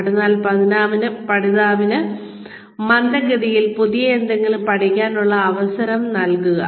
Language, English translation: Malayalam, So, have the learner, or give the learner, a chance to learn something new, at a slow speed